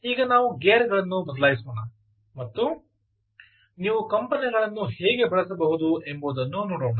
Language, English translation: Kannada, let us now shift gears and try and see how you can also use vibration right